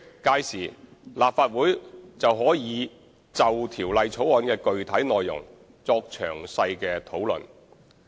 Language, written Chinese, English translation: Cantonese, 屆時，立法會可就條例草案的具體內容作詳細討論。, At that stage the Legislative Council can discuss the contents of the Bill in detail